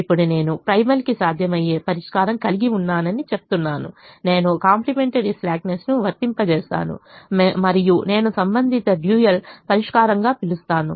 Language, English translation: Telugu, so we now have the solution to the primal and we now apply the complimentary slackness conditions and see what happens to the dual